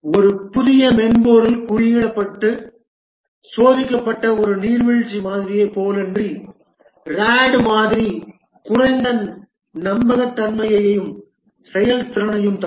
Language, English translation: Tamil, Unlike a waterfall model where a fresh software is designed, coded and tested, the RAD model would give a lower reliability and performance